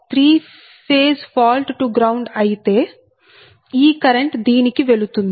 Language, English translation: Telugu, so if it is a three phase fault to the ground, the current that is, it is going to your